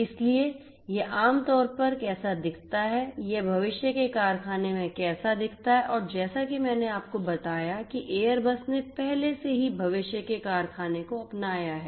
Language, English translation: Hindi, So, this is typically how it looks like, what it looks like in a factory of the future and as I told you that airbus has already adopted the factory of the future right